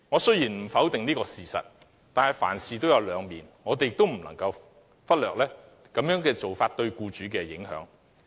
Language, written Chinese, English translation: Cantonese, 雖然我不否定這個事實，但凡事都有兩面，我們亦不能忽略取消對沖機制對僱主的影響。, Although I do not dispute this fact there are always two faces to a coin . Neither can we overlook the impacts of the abolition of the offsetting mechanism on employers